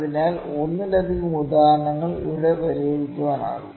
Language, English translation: Malayalam, So, multiple examples can be solved here